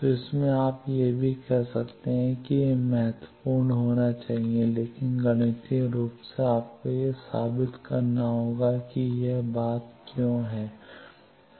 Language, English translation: Hindi, So, from that also you could have said that it should be lossy, but mathematically you will have to prove it that is why these thing